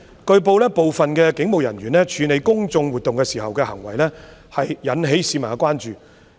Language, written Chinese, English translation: Cantonese, 據報，部分警務人員處理公眾活動時的行為引起市民關注。, It has been reported that the acts of some police officers in handling public events have aroused public concerns